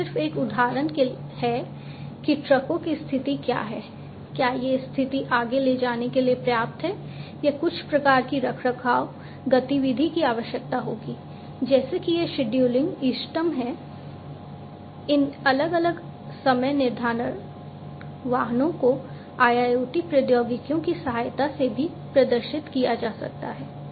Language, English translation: Hindi, But this is a just an example that, the condition of the trucks whether you know these conditions are good enough for carrying on further or there is some kind of maintenance activity that will need to be carried on, like this is the scheduling optimum scheduling of these different vehicles could also be performed with the help of IIoT technologies